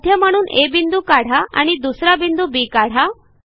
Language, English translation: Marathi, Mark a point A as a centre and click again to get B